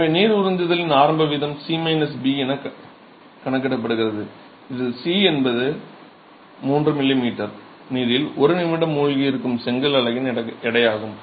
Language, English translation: Tamil, So the initial rate of absorption is therefore calculated as C minus B where C is the weight of the brick unit immersed in 3 millimetres of water for one minute